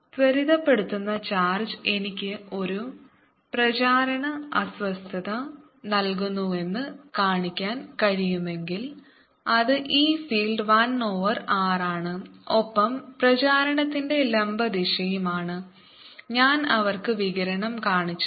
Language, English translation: Malayalam, if i can show that an accelerating charge, give me a propagating disturbance which goes as for which the e field is, one over r is perpendicular direction of propagation i have shown in the radiation